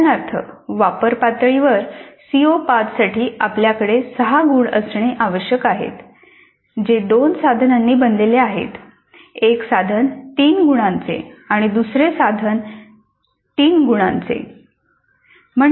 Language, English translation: Marathi, For example for CO5 at apply level we need to have 6 marks that is made up of 2 items, 1 item of 3 marks and another item of three marks